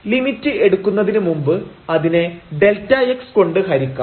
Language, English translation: Malayalam, So, before we take the limit we can divide by this delta x